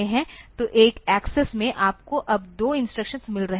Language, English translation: Hindi, So, in one access you are getting two instructions now